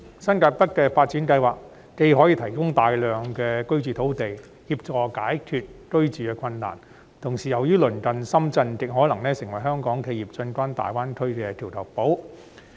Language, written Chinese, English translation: Cantonese, 新界北的發展既可以提供大量居住用地，協助解決居住困難的問題，同時亦因鄰近深圳而極可能成為香港企業進軍大灣區的橋頭堡。, The development of New Territories North will not only provide a vast area of residential land to help resolve the housing difficulties but will also become a bridgehead for Hong Kong enterprises to enter GBA due to its proximity to Shenzhen